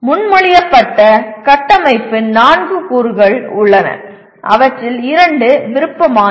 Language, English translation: Tamil, There are four elements of the proposed structure of which two are optional